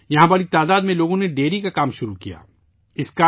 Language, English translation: Urdu, A large number of people started dairy farming here